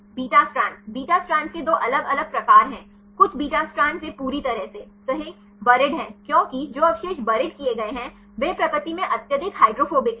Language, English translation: Hindi, Beta strand, there are two different types of beta strand some beta strands it is completely buried right because the residues which are buried are highly hydrophobic in nature